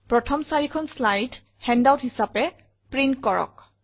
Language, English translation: Assamese, Print the first four slides as a handout